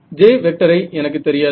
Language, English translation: Tamil, So, I do not know J